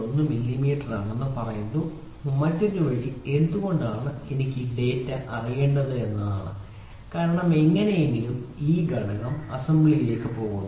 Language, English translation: Malayalam, 1 millimeter, the other way round is why do I need to know this data because anyhow this component is going for the assembly